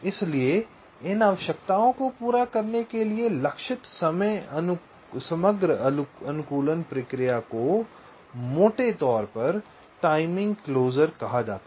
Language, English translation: Hindi, ok, so the overall optimisation process that targets to meet these requirements is broadly refer to as timing closer